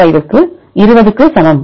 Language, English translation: Tamil, 05 into 20 that is equal to